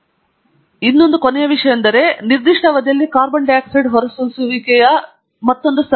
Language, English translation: Kannada, The final thing that I want to show you is another series, which is the carbon dioxide emissions in a certain region, during a certain period